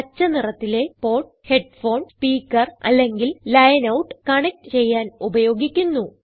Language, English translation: Malayalam, The port in green is for connecting headphone/speaker or line out